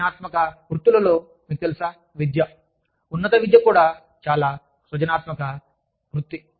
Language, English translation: Telugu, In creative professions, you know, i would say, education, higher education, is also a very creative profession